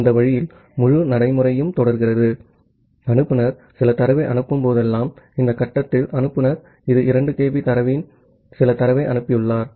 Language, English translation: Tamil, So, that way the entire procedure goes on and whenever sender is sending some data, that at this stage the sender this has send some data of 2 kB of data